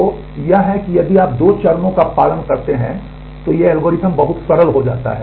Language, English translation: Hindi, So, it is if you follow the two phases these algorithms become very simple